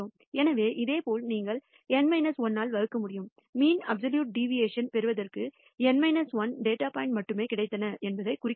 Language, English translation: Tamil, So, similarly here also you can divide by N minus 1 to indicate that only N minus 1 data points were available for obtaining the mean absolute deviation